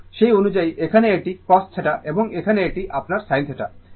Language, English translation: Bengali, So, accordingly this here it is cos theta and here this one is your sin theta